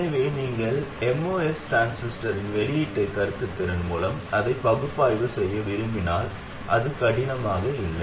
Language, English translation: Tamil, So if you do want to analyze it with the output conductance of the MOST transistor, it is not at all difficult